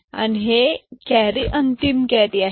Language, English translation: Marathi, So, this carry is the final carry